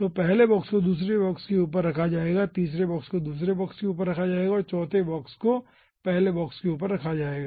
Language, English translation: Hindi, so first, second box will be placed on top of first, third box will be placed on top of second box and fourth box will be placed at the bottom of your first box